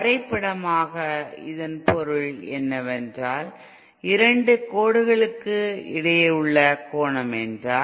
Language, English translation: Tamil, What it means graphically is that if the angle between the two lines